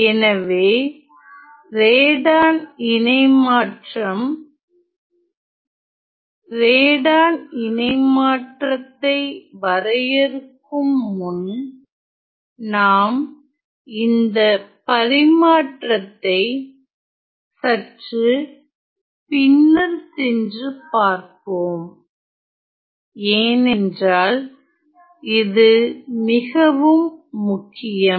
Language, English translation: Tamil, So, Radon transforms before I start defining Radon transforms let me just you know come back and describe a bit more about these transfer because these are a little special